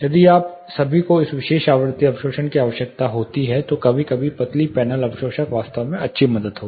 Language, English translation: Hindi, If at all you are requiring this particular frequency absorption, sometimes thin panel absorbers, would be really of good help